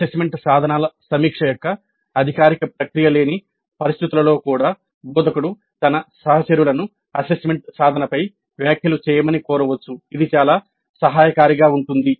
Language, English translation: Telugu, Even in situations where there is no such formal process of review of the assessment instruments the instructor can request her colleagues to give comments on the assessment instruments